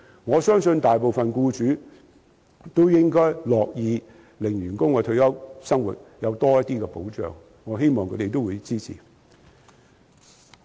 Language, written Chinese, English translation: Cantonese, 我相信大部分僱主都樂意讓員工的退休生活得到多些保障，我希望他們會支持我的建議。, I believe that most employers are willing to allow their employees to have more retirement protection . I hope that they will support my proposal